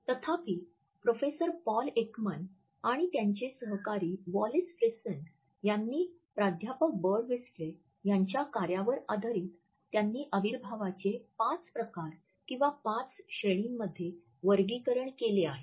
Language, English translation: Marathi, However, Professor Paul Ekman and his colleague Wallace Friesen have built on Professor Birdwhistell’s work and they have classified kinesics into five types or five categories